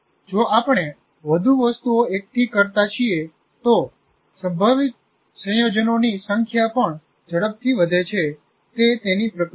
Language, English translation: Gujarati, And if you keep accumulating more items, the number of possible combinations also grows exponentially